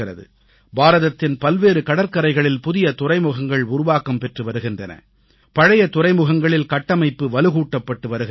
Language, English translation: Tamil, New seaports are being constructed on a number of seaways of India and infrastructure is being strengthened at old ports